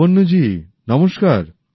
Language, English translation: Bengali, Lavanya ji, Namastey